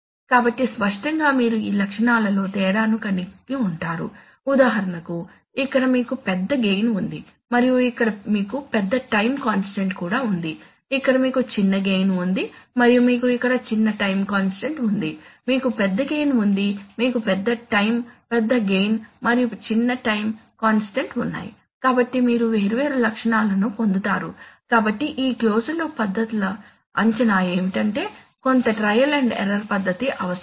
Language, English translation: Telugu, So obviously you are going to have difference in these, difference in these properties for example here you have a larger gain and here you have a larger time constant too, here you have a smaller gain here you have a, no, here you have a smaller gain and you have a smaller time constant here you have a larger gain and you have a larger time constant right, larger gain and a smaller time constant, so you will get different properties, so what is the assessment of these closed loop methods that some trial and error is needed